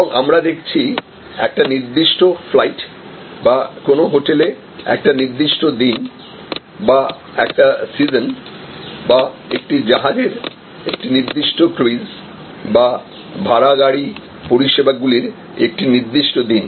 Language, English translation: Bengali, And we are looking in to one particular episode; that means one particular flight or one particular day or season of a hotel or one particular cruise of a ship or one particular day of rental car services